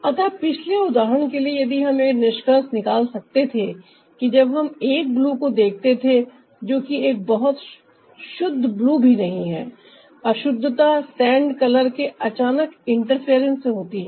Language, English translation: Hindi, so, ah, for the previous ah example, we could make out that when we saw a blue, which is also not a very pure blue, the impurity was caused by the ah sudden interference of the sand color